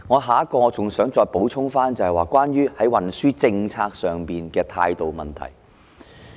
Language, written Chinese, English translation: Cantonese, 下一點我想補充的是關於運輸政策上的態度問題。, The next point I wish to add is about the attitude towards transport policy